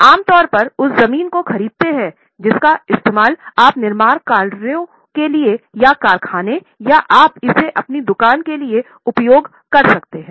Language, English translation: Hindi, You buy land generally you use it for construction purposes or you may use it for factory or you may use it for your shop